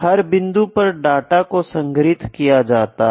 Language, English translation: Hindi, So, each point data is collected